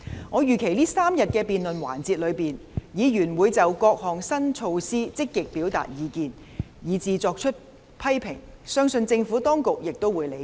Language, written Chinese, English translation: Cantonese, 我預期在這3天的辯論環節中，議員會就各項新措施積極表達意見，以至作出批評，相信政府當局亦會理解。, I expect that during the three - day debate sessions Members will actively express their views on various new initiatives and even make criticisms . This I believe the Administration will understand